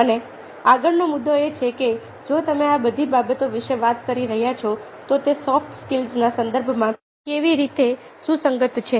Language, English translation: Gujarati, and the next point is that, if you are talking about all these things, how are they relevant in the context of soft skills